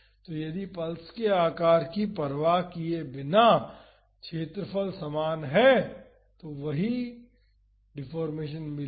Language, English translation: Hindi, So, if the area is same irrespective of the shape of the pulse we would get the same deformation